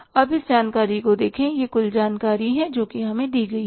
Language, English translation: Hindi, Now you look at this information, this information is total which is given to us